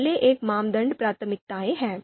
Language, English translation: Hindi, The first one is criteria priorities